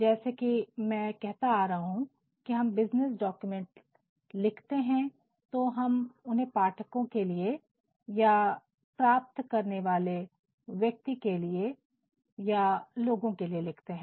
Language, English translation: Hindi, As, I have been saying that when we are drafting business documents, we are actually drafting it for an audience, for receivers, for people